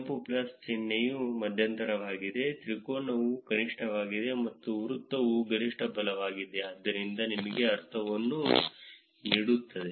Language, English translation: Kannada, The red plus symbol is a median, triangle is the minimum, and the circle is the maximum right, so that gives you a sense of